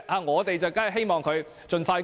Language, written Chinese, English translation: Cantonese, 我們當然希望盡快通過。, It is certainly our wish to pass the Bill expeditiously